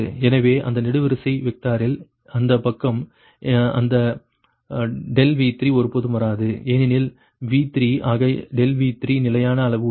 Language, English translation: Tamil, so in that column vector, this side right, that delta v three will never come because v three as delta v three is fixed magnitude